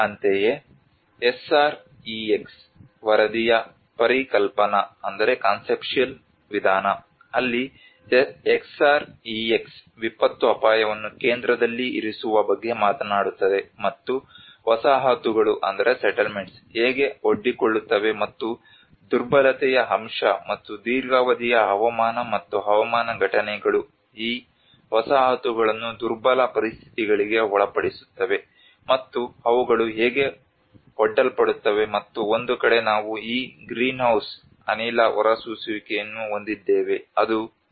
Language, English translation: Kannada, Similarly, the conceptual approach of the SREX report, where SREX which talks about putting the disaster risk in the center, and how the settlements are exposed and vulnerability component and also the long run weather and climatic events put these settlements into vulnerable conditions, and how they are exposed, and on one side we have these greenhouse gas emissions which are on the continuous concerns